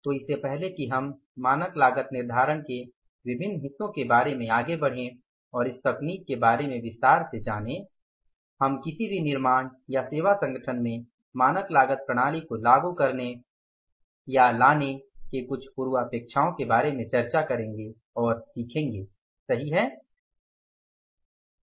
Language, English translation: Hindi, So, before we go ahead with the different parts of the standard costing and learn about this technique in detail, we will discuss and learn about the some prerequisites of introducing or implementing the standard costing system in any organization in any manufacturing or the service organizations